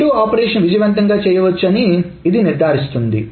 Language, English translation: Telugu, So this ensure that the redo operations can be done successfully